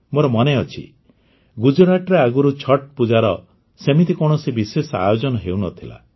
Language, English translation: Odia, I do remember that earlier in Gujarat, Chhath Pooja was not performed to this extent